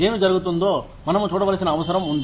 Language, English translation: Telugu, We need to see, what is going in